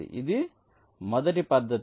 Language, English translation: Telugu, so this is the first method